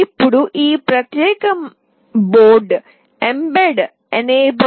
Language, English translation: Telugu, Now this particular board is mbed enabled